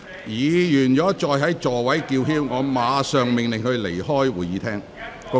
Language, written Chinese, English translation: Cantonese, 如果議員繼續在座位叫喊，我會立即命令他們離開會議廳。, If any Members keep shouting in their seats I will order them to leave the Chamber immediately